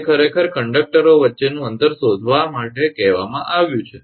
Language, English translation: Gujarati, That that has been asked actually to find the spacing between the conductors